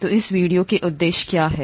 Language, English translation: Hindi, So what are the objectives of this video